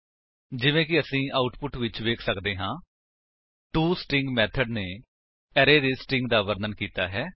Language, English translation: Punjabi, As we can see in the output, the toString method has given a string representation of the array